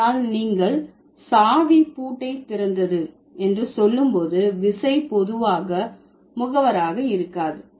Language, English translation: Tamil, But when you say the key open the lock, the key generally doesn't have the agent of status